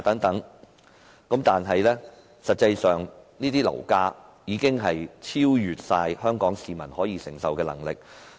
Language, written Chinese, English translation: Cantonese, 但是，實際上，樓價已完全超出香港市民的承受能力。, However the fact remains that property prices have completely exceeded the affordability of Hong Kong people